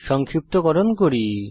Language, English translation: Bengali, We will summarize now